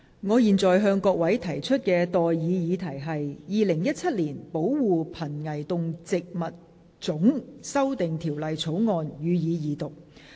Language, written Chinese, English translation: Cantonese, 我現在向各位提出的待議議題是：《2017年保護瀕危動植物物種條例草案》予以二讀。, I now propose the question to you and that is That the Protection of Endangered Species of Animals and Plants Amendment Bill 2017 be read the Second time